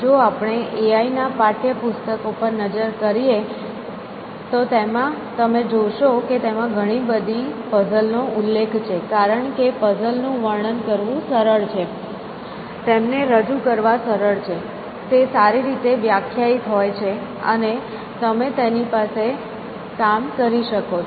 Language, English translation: Gujarati, So, if we look at the A I text books, you will find that they are sort of sprinkle with puzzles, because puzzles are easy to describe, easy to represent, well defined and you know, you can do work with them